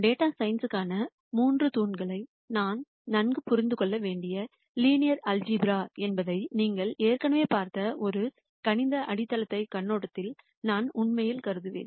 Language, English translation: Tamil, I would really consider from a mathematical foundations viewpoint that the three pillars for data science that we really need to understand quite well are linear algebra which you already seen before